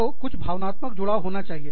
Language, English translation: Hindi, So, that has to be, some emotional attachment